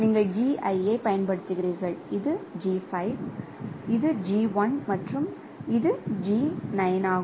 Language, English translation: Tamil, So, this is this is G5, this is G1 and this is G9